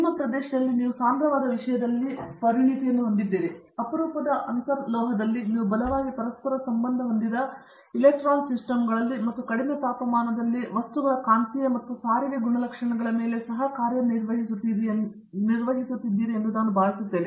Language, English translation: Kannada, I think your area, you are expert in condense matter, in rarer inter metallic, you also work on strongly correlated electron systems and also on magnetic and transport properties of materials at low temperatures, these are some